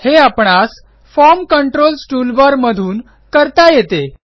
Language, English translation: Marathi, This can be accessed in the Form Controls toolbar